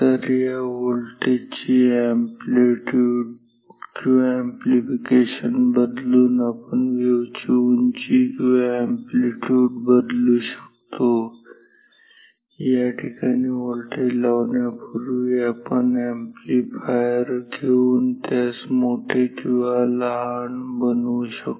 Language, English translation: Marathi, So, by changing the magnitude or the amplification of this voltage, we can change the height or amplitude of this wave we can make it larger or smaller by having an amplifier before applying this voltage at this point